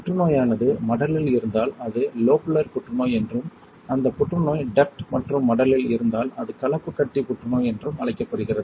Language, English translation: Tamil, If the cancer is in lobe then it is called Lobular cancer, if that cancer is in duct as well as lobe then it is called Mixed Tumour Cancer